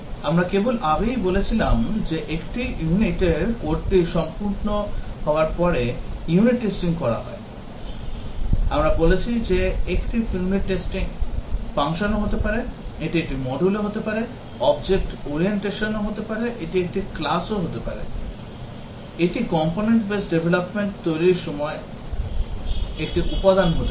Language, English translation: Bengali, We just said earlier that unit testing is undertaken once the code for a unit is complete; a unit we said can be a function; it can be a module; in object orientation, it can be a class; it can be a component in a component base development